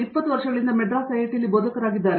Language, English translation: Kannada, He is been a faculty in IIT, Madras for 20 years